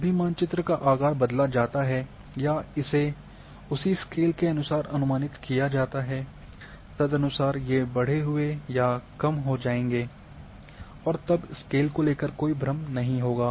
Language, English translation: Hindi, Whenever the size is changed or it is projected the same scale bar accordingly will get enlarged or reduced and therefore, there will not be any confusion about the scale